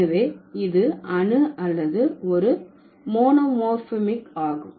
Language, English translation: Tamil, So, this is atomic or the monomorphic